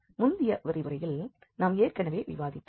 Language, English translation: Tamil, So, this is what we have already discussed in the previous lecture